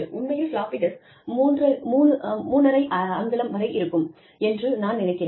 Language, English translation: Tamil, The actual floppies, the 3 1/2 inch floppy disk, I think